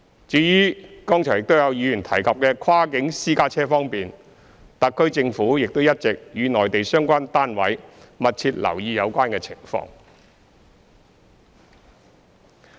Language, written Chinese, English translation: Cantonese, 至於剛才亦有議員提及的跨境私家車方面，特區政府亦一直與內地相關單位密切留意有關情況。, As for issues concerning cross - boundary private cars brought up by certain Members just now the SAR Government has likewise kept a close watch on the situation jointly with the relevant Mainland units